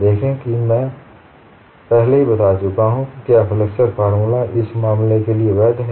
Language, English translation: Hindi, See I have already pointed out is flexure formula valid for this case